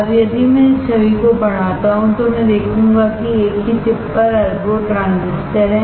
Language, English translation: Hindi, Now, if I magnify this image, I will see that there are billions of transistors on the same chip